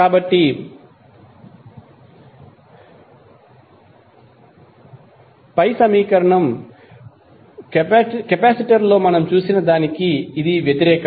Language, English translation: Telugu, So, opposite to what we saw in the capacitor